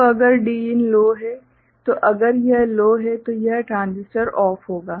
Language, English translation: Hindi, So, if Din is low, right, so if this is low then this transistor will be OFF